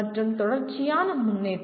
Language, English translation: Tamil, And continuous improvement